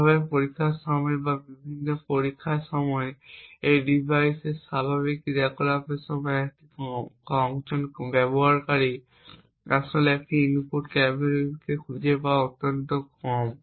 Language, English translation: Bengali, Thus, during testing or during various tests or during normal operation of this device the probability that a user actually finds an input cafebeef is extremely small